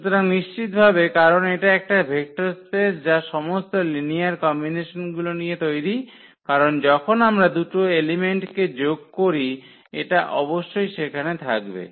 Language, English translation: Bengali, So, definitely because this is a vector space all the all linear combinations because when we add two elements of this must be there